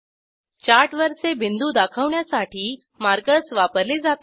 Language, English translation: Marathi, Markers are used to mark points on the chart